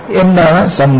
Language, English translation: Malayalam, And, what is the summary